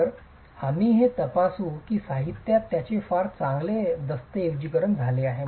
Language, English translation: Marathi, So, we will examine that it is very well documented in the literature